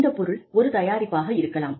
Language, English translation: Tamil, It could be a product